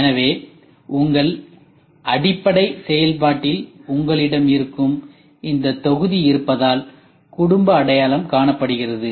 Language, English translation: Tamil, So, then what the family identification is done because in your library function you already have this module there